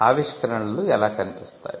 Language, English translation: Telugu, How inventions look